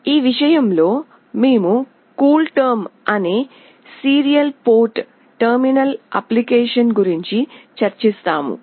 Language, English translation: Telugu, In this regard, we will be discussing about a Serial Port Terminal Application called CoolTerm